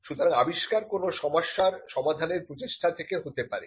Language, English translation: Bengali, So, in an invention could come out of a problem that you solve